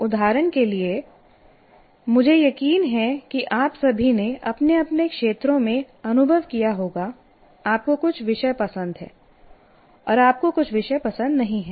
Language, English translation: Hindi, For example, I'm sure all of you experience in your own areas, you like some subjects, you don't like some subjects